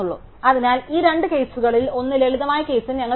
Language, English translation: Malayalam, So, we have back in the simpler case one of these two cases